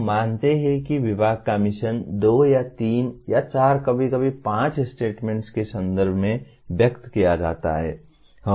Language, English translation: Hindi, We assume that mission of the department is expressed in terms of a two or three or four sometimes five statements